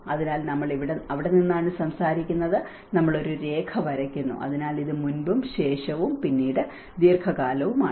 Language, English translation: Malayalam, So, we are talking from that is where we draw a line, so this is more of pre and then during and then a long term